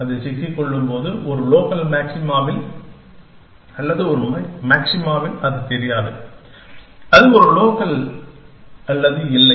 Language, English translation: Tamil, And when it get stuck, at a local maxima or at a maxima it does not know, that is local or not